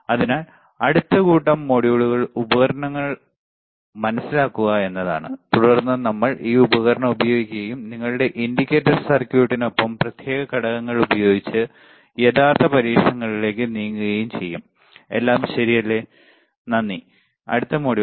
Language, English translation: Malayalam, So, the next set of modules is to understand the equipment, and then we will move on to actual experiments using this equipment and using the discrete components along with your indicator circuits, all right